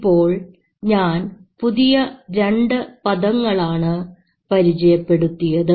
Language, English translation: Malayalam, I am introducing two more terms now